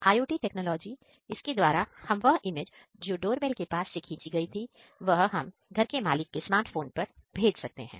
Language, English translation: Hindi, Through IoT technologies, we can send that image from our doorbell to the owner’s smart phone